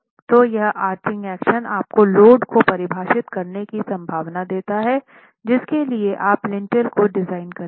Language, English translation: Hindi, So, this arching phenomenon gives you the possibility of defining the load for which you will design the lintel itself